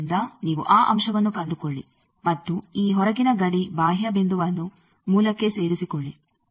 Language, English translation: Kannada, So, you find that point and join this outer boundary peripheral point to origin